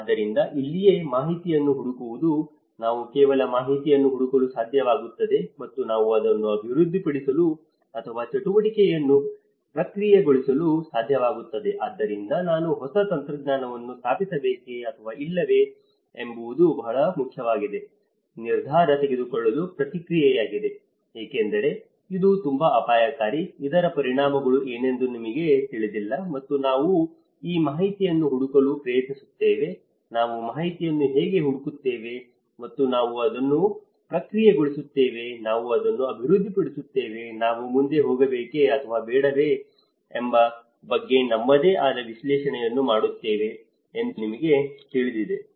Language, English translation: Kannada, So, this is where the information seeking, we are able to seek some information and we are able to process it development or activity so, this is a very important decision making process whether I install new technology or not because it is a very risky, you do not know what is the consequences and we try to relay on this information seeking, you know that how we seek for information and we process it, we develop it, we make our own analysis of whether we should go further or not